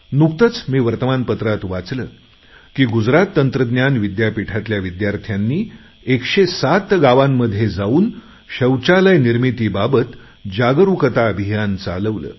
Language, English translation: Marathi, I recently read in a newspaper that students of Gujarat Technological University launched a Jagran Abhiyan Awereness Campaign to build toilets in 107 villages